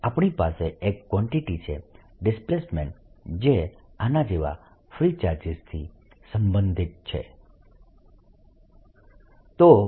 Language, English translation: Gujarati, so we have got one quantity displacement which is related to the free charge, like this